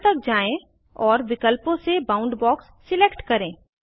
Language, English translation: Hindi, Scroll down to Style, and select Boundbox from the options